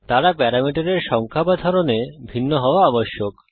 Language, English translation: Bengali, They must differ in number or types of parameters